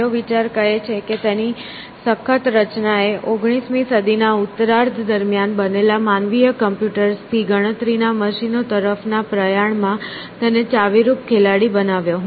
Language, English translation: Gujarati, The last idea says that its sturdy design made it a key player in the move from human computers to calculating machines that took place during the second half of the 19th century